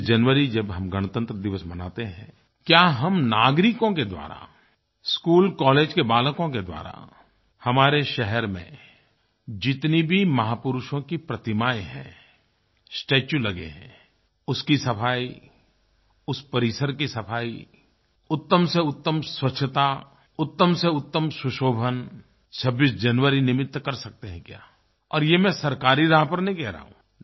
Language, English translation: Hindi, Can we citizens and school and college students take up the initiative of cleaning the statue of any great men installed in our city, of cleaning the premises, we can do best of cleanliness and best of decoration on the occasion of 26th January